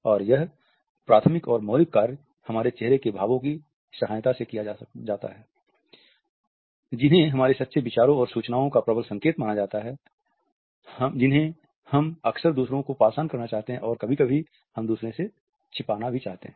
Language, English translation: Hindi, And this primary and fundamental function is performed with the help of our facial expressions which are considered to be potent signals of our true ideas and information which we often want to pass on and sometimes, we want to hide from others